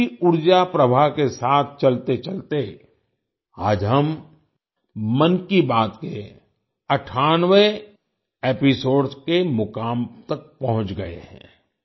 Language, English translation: Hindi, Moving with this very energy flow, today we have reached the milepost of the 98th episode of 'Mann Ki Baat'